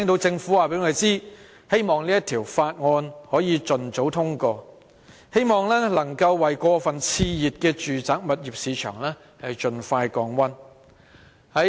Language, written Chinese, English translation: Cantonese, 政府一直說，希望可以盡早通過《條例草案》，為過分熾熱的住宅物業市場盡快降溫。, The Government has always expressed the wish to pass the Bill as soon as possible so as to cool down the overheated residential property market